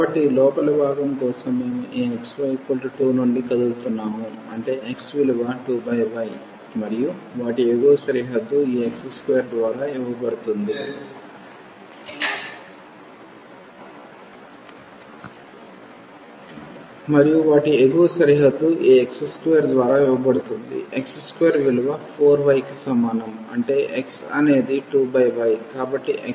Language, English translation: Telugu, So, for the inner one we are moving from this x y is equal to 2; that means, x is 2 over y and their the upper boundary will be given by this x square is equal to x square is equal to 4 y; that means, x is 2 square root y